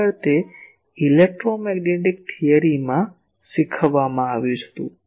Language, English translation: Gujarati, Actually it was taught in electromagnetic theory